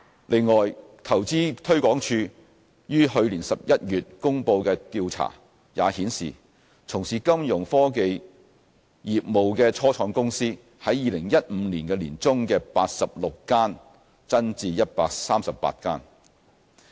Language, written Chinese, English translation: Cantonese, 另外，投資推廣署於去年11月公布的調查也顯示，從事金融科技業務的初創公司從2015年年中的86間增至138間。, Moreover according to a survey published by InvestHK in November last year there were 138 Fintech - related start - ups in Hong Kong up from 86 in mid - 2015